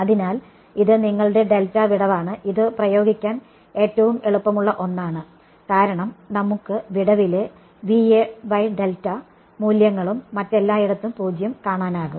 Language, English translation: Malayalam, So, this is your delta gap which is this easiest one to apply because, is just we can see the values V A by delta in the gap and 0 everywhere else